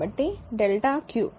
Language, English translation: Telugu, So, delta eq